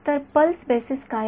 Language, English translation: Marathi, So, what is a pulse basis